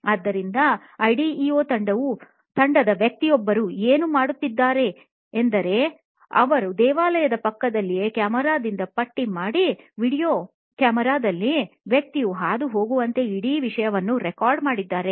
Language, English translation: Kannada, So, what one of the person from the ideo team did was strap on a video camera a camera right next to their temple here and recorded the whole thing as if this person is going through